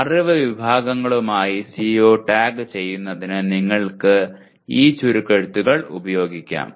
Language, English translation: Malayalam, You can use these acronyms to tag the CO with knowledge categories